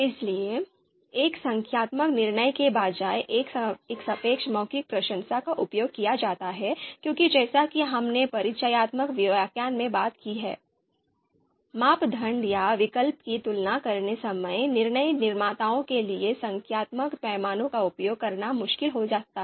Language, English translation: Hindi, So a relative verbal appreciation is used instead of a numerical judgment because as we have talked about in the introductory lecture, it might be difficult for decision makers to use a numeric scale while comparing you know criteria or alternatives